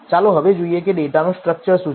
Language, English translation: Gujarati, Let us now see what the structure of the data is